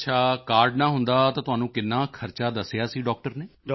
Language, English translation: Punjabi, Ok, if you did not have the card, how much expenses the doctor had told you